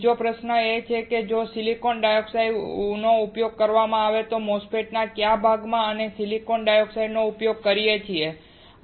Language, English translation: Gujarati, Another question is if silicon dioxide is used, which part of the MOSFETs can we use silicon dioxide